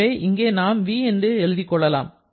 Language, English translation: Tamil, So, write v here